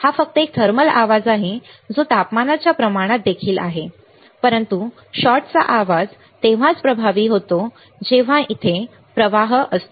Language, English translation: Marathi, It is just a thermal noise is proportional to the temperature also, but shot noise only comes into effect when there is a flow of current